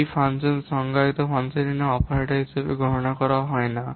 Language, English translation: Bengali, The function name in a function definition is not counted as an operator